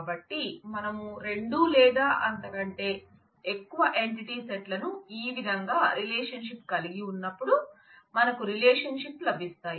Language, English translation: Telugu, So, whenever we relate two or more entity sets like this we get relationships